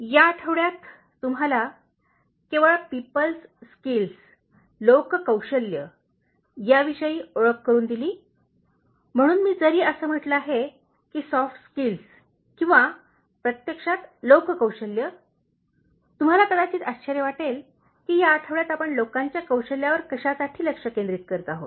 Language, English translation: Marathi, This week, I introduced you exclusively on People Skills, so although I said that Soft Skills or actually People Skills you might wonder why particularly this week we are focusing on people skills